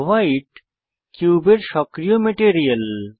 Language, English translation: Bengali, White is the cubes active material